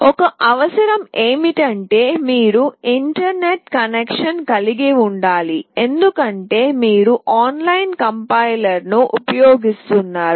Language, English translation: Telugu, The only requirement is that you need to have internet connection because you will be using an online compiler